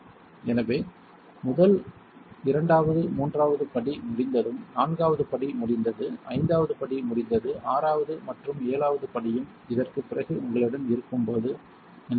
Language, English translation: Tamil, So, first second third step is over, fourth step over, fifth step over, sixth and seventh step is also done after this like I said whenever you have